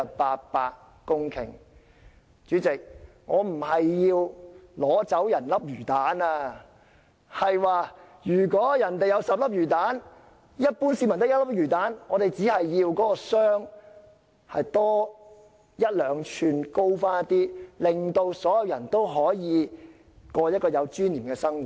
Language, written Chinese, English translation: Cantonese, 代理主席，我並非要取走別人的魚蛋，我只是說，如果人家有10粒魚蛋，而一般市民只有1粒，我們只希望那個箱子可以再高一兩吋，令所有人都可以過有尊嚴的生活。, Deputy President I am not trying to take away other peoples cheese . I am only saying that if they have 10 pieces of cheese while the ordinary masses have only one we merely hope that the box can be one or two inches higher so that everyone can live with dignity